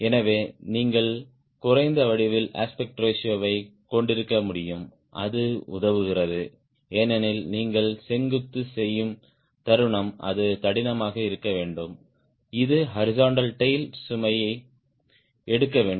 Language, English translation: Tamil, hence you can afford to have lower geometric aspect ratio and that helps because the moment you make a vertical it has to be thicker, it has to take the load of horizontal tail